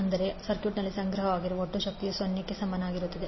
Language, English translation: Kannada, That means the total energy stored in the circuit is equal to 0